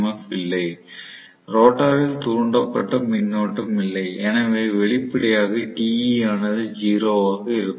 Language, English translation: Tamil, S is 0 synchronous speed, there is no rotor induced EMF, there is no rotor induced current, so obviously Te will be 0 right